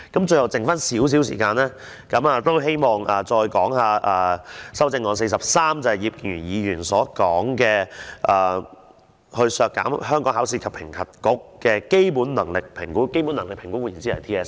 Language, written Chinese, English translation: Cantonese, 最後剩下少許時間，希望再談修正案第43項，就是葉建源議員提出的削減香港考試及評核局的基本能力評估，換言之是 TSA。, As I still have a little bit of time I wish to speak on Amendment No . 43 . That is the amendment moved by Mr IP Kin - yuen which seeks to reduce the estimated expenditure of the Hong Kong Examinations and Assessment Authority in the Territory - wide System Assessment TSA